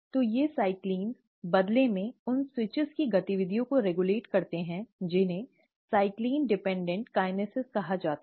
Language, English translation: Hindi, So these cyclins, in turn regulate the activity of switches which are called as the ‘cyclin dependent kinases’